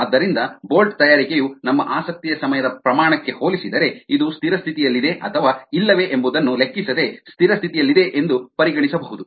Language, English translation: Kannada, thus bolt making can be consider to be at steady state compared to the time scale of our interest, irrespective to of whether this is be a steady state or not